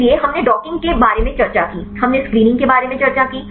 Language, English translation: Hindi, So, we discussed about the docking, we discussed about the screening